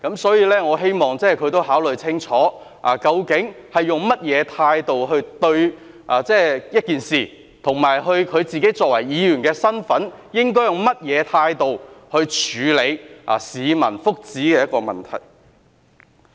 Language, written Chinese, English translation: Cantonese, 所以，我希望他也考慮清楚，究竟用甚麼態度對一件事，以及他作為議員的身份，應該用甚麼態度來處理一個關乎市民福祉的問題。, I thus wish that he will also consider clearly what attitude he should have when dealing with an issue and in the capacity as a Member what attitude he should take when handling a question related to the wellbeing of the public